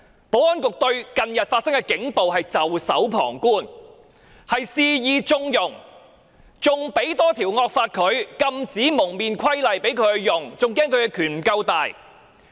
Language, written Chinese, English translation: Cantonese, 保安局對近日發生的警暴事件袖手旁觀，肆意縱容，還制定多一條惡法《禁止蒙面規例》供他們使用，唯恐他們的權力不夠龐大。, In this connection the Security Bureau can hardly absolve itself of the blame because it has watched with folded arms and connived at recent police violence . Worse still it has enacted another draconian law namely the Prohibition on Face Covering Regulation for use by the Police out of fear that their power is not enough